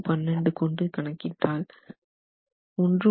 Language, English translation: Tamil, 7 divided by 15 which is 2